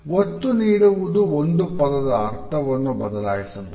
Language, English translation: Kannada, Stress on a particular word may alter the meaning